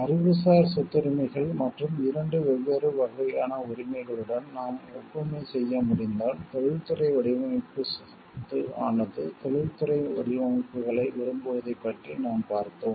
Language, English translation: Tamil, Like, if we can draw an analogy with the intellectual property rights and the 2 different types of rights we have seen one is about the industrial design property will like industrial designs